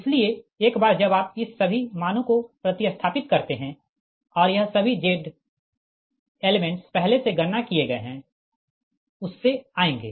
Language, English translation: Hindi, so once you substitute all this values and this, all this z elements will come from this previously computed one, from here only